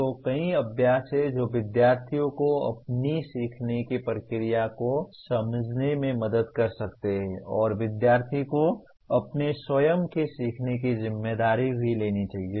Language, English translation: Hindi, So there are several exercises that would be, could help students to understand their own learning process and the student should also take responsibility for their own learning